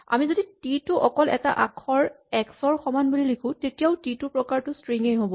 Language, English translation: Assamese, If we say t is equal to say just the letter x, then the type of t is also a string